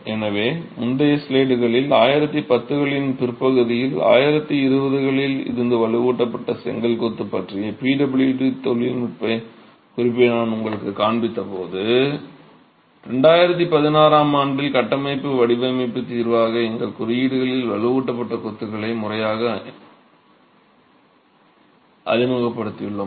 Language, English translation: Tamil, So, in the previous slides when I showed you the PWD technical note on reinforced brick masonry, that was late 1910s, 1920s, but it's only in 2016 that we have formally introduced reinforced masonry into our codes as a structural design solution